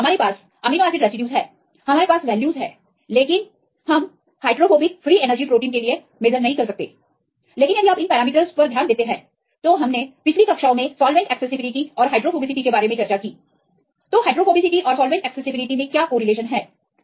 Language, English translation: Hindi, So, now if we have this amino acid residues, we have the values, but for the proteins we cannot directly measure the hydrophobic free energy, but if you look into these parameters that we discussed in the previous classes about solvent accessibility and hydrophobicity; what is the correlation